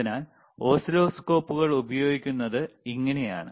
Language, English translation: Malayalam, So, this is how the oscilloscopes are used,